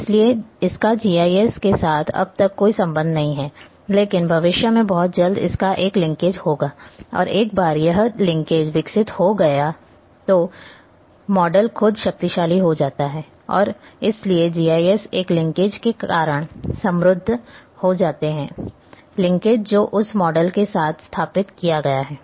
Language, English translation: Hindi, It does not have so far any linkage with GIS, but very soon in future it will have a linkage; and once it develops the linkage that model itself becomes powerful and so GIS becomes enriched because of the linkage which has been established with that model